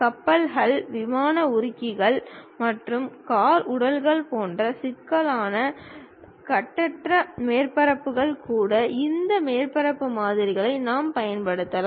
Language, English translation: Tamil, Even complex free formed surfaces like ship hulls, aeroplane fuselages and car bodies; we can use these surface models